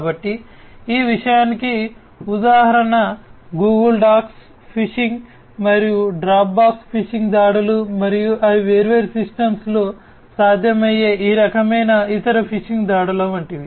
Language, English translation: Telugu, So, example of this thing is Google docs phishing and Dropbox phishing attacks and they are like these different types of other phishing attacks that are possible on different systems